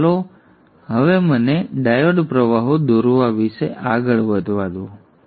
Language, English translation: Gujarati, So let me now go about drawing the diode currents